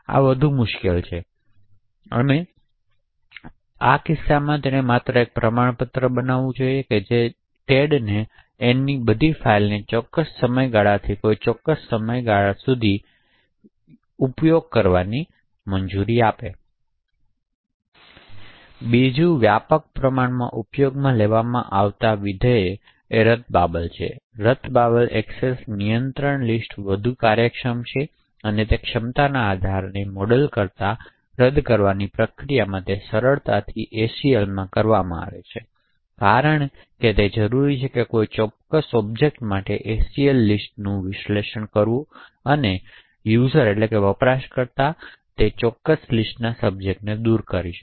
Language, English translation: Gujarati, So, this is far more difficult and just creating a certificate which gives Ted a permission to assess all of Ann’s files from a particular period to a particular period, another widely used functionality is that of revocation, in revocation access control list are much more efficient than the capability base model, in during revocation it is easily done in ACL because all that is required is to parse the ACL list for a particular object and remove the user or the subject of that particular list